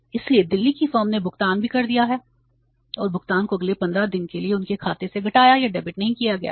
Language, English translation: Hindi, So, Delhi's firm has made the payment also and payment has not been deducted or debited from their account for the next 15 days also